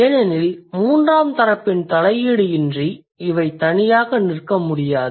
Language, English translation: Tamil, Because they cannot stand alone without any intervention of a third party